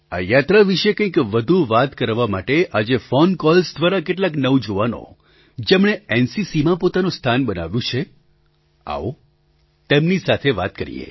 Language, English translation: Gujarati, To discuss more about this journey, let's call up a few young people, who have made a name for themselves in the NCC